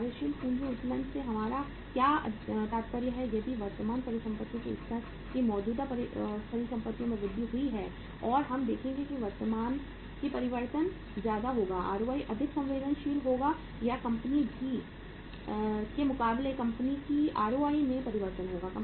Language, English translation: Hindi, What do we mean by the working capital leverage if there is a increase in the current assets of the level of the current assets and we will see that higher will be the change more sensitive will be the ROI or change in the ROI in the company as compared to the company B